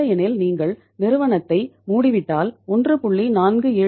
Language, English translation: Tamil, Otherwise if you close down the company so 1